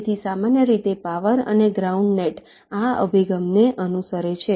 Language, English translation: Gujarati, ok, so typically the power and ground nets follow this approach